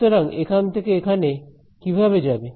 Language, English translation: Bengali, So how will it go from here to here